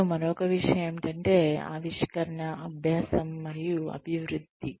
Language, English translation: Telugu, And, the other thing is, innovation, learning, and development